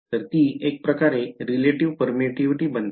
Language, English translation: Marathi, So, it becomes the relative permittivity comes in a way